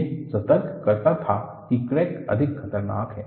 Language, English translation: Hindi, It alerted that crack is more dangerous